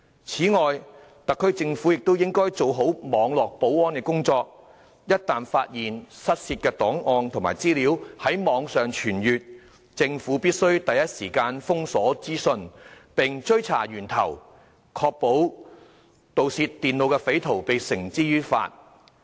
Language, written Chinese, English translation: Cantonese, 此外，特區政府亦應做好網絡保安的工作，一旦發現失竊的檔案和資料在網上傳閱，政府必須第一時間封鎖資訊，並追查源頭，確保將盜竊電腦的匪徒繩之於法。, Moreover the SAR Government should also duly maintain Internet security . Once the lost files or data are found circulating on the web the Government must instantly block the dissemination and track the source to ensure that the suspects are brought to justice